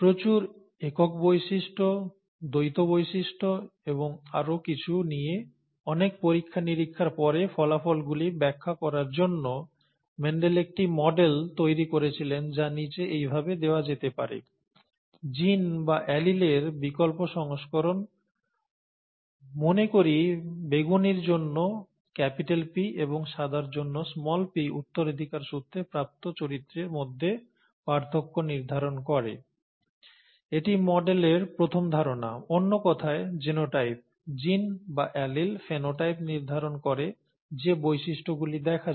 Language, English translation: Bengali, So after a lot of experiments with a lot of single characteristics, dual characteristics and so on so forth, Mendel came up with a model to explain the results which can be given as follows: alternative versions of genes or alleles, say capital P for purple and small p for white determine the variations in inherited characters, this is the first aspect of the model; in other words the genotype, genes or alleles determine the phenotype which is the observed character